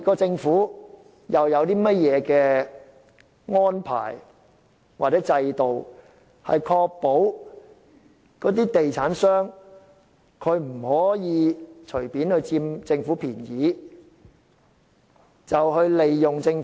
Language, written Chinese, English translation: Cantonese, 政府究竟有何制度或安排，以確保地產商不會佔政府便宜和利用政府？, What kind of systems or arrangements are in place to make sure that property developers will not take advantage of the Government?